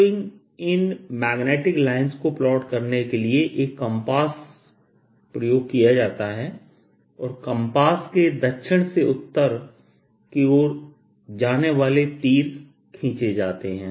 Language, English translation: Hindi, so to plot these magnetic lines, one puts a compass and draws arrows going from south to north of the compass